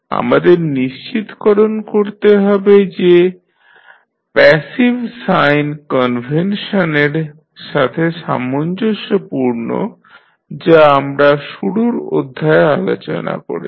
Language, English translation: Bengali, We have to make sure that they are consistent with the passive sign convention which we discussed in our initial lectures